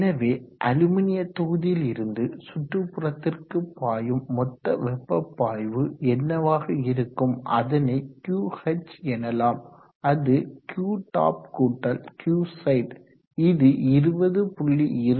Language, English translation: Tamil, So what is the total heat flow from the aluminum block to the ampler wave called that as QH which is Q top plus Q sides which is 20